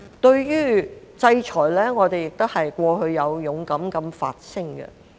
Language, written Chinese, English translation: Cantonese, 對於制裁，我們過去亦有勇敢地發聲。, We have also bravely voiced our views against sanctions imposed by foreign countries before